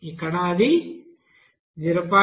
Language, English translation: Telugu, So it is coming 0